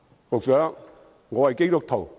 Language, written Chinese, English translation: Cantonese, 局長，我是基督徒。, Secretary I am a Christian